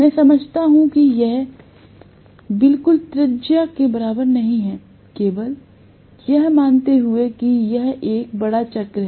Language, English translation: Hindi, I understand that this is not exactly equivalent to the radius but assuming that it is a big circle